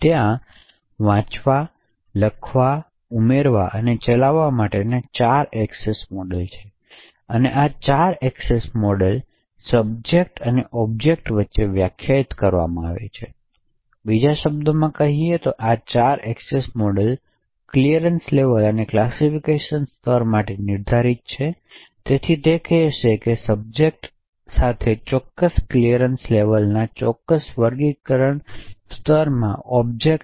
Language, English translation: Gujarati, There are four access modes read, write, append and execute, so these four access modes are defined between subjects and objects, in another words these four access modes are defined for clearance levels and classification levels, so it would say that a subject with a certain clearance level can access objects in a certain classification level